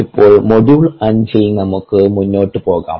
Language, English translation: Malayalam, now let us go forward with the module itselfthe module five